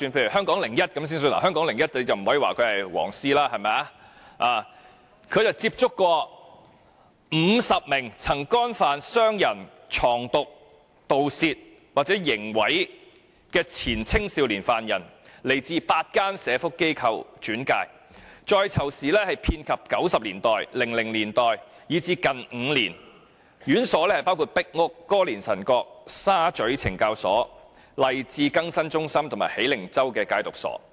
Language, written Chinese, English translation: Cantonese, 以《香港01》為例——我們不能稱其為"黃絲"——曾接觸50名曾干犯傷人、藏毒、盜竊或刑毀的前青少年犯人，他們由8間社福機構轉介，在囚時間遍及1990年代、2000年代，以至近5年，院所包括壁屋懲教所、歌連臣角懲教所、沙咀懲教所、勵志更新中心及喜靈洲戒毒所。, Take HK01 as an example though we cannot regard it as a yellow ribbon outlet . HK01 contacted 50 former young prisoners who were convicted of assault drug trafficking theft or criminal damage . Referred to the reporters by eight social welfare organizations they served their prison terms from as early as the 1990s or 2000s to as lately as the past five years at correctional institutions including Pik Uk Correctional Institution Cape Collinson Correctional Institution Sha Tsui Correctional Institution Lai Chi Rehabilitation Centre and Hei Ling Chau Addiction Treatment Centre